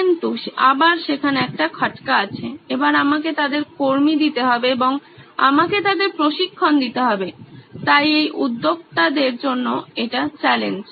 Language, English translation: Bengali, But again there is a catch there, now I will have to staff them and I will have to train them so these are challenges for this entrepreneurs